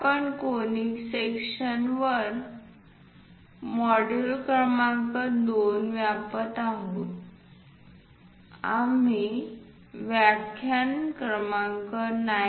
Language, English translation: Marathi, We are covering module number 2 on Conic sections, we are at lecture number 9